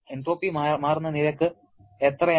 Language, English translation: Malayalam, What will be the rate at which entropy changes